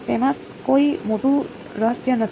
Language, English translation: Gujarati, There is no great mystery to it